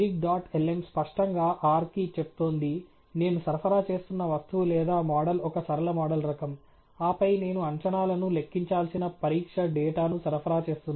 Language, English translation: Telugu, So, predict dot lm explicitly is telling R that the object or the model that I am supplying is a linear model type, and then, I am supplying the test data on which it has to compute predictions